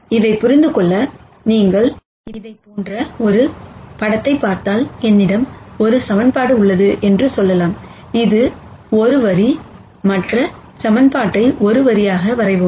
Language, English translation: Tamil, And to understand this if you look at a picture like this, let us say I have one equation which is a line, let us draw the other equation which is also a line